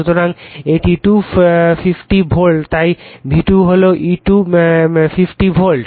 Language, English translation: Bengali, So, it is 250 volts right so, V2 is thE250 volt